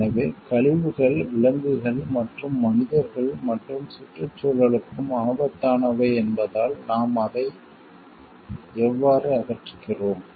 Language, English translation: Tamil, So, how you are disposing it off like, because the waste can be hazardous to both animal and human and as well as the environment